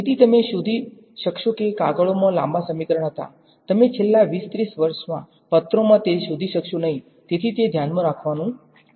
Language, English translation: Gujarati, So, you will find papers were long equations are there, you will not find that in papers in the last say 20 30 years, so that is just something to keep in mind